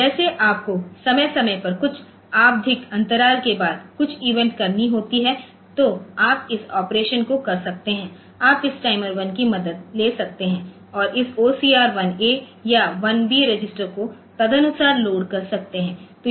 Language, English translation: Hindi, Like you have to do some event in a periodic way after some periodic intervals of time so you can do this operation so, you can take the help of this timer 1 and load this OCR 1 A or 1 B register accordingly